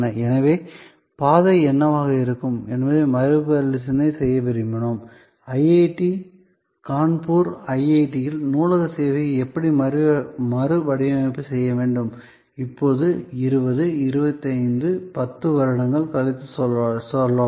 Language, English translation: Tamil, So, we wanted to reassess that what will be the trajectory, how should we redesign the library service at IIT, Kanpur, going forward to say 20, 25, 10 years from now